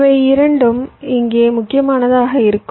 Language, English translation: Tamil, both of this will be important here